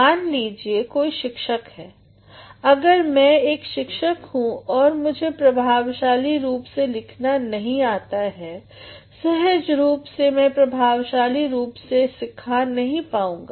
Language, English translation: Hindi, Suppose somebody is a teacher, if I am a teacher and I do not know how to write effectively, naturally I will not be able to teach effectively